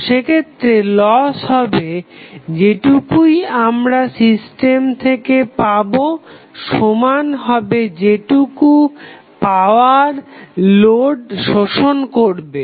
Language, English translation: Bengali, So, in that case loss, whatever we get in the system would be equal to whatever power is being absorbed by the load